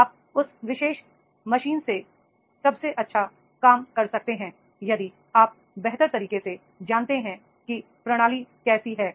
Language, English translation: Hindi, You can get the best work done from that particular machine if you are better into the know how system